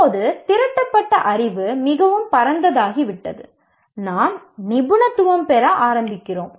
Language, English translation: Tamil, Now the accumulated knowledge has become so vast, we start specializing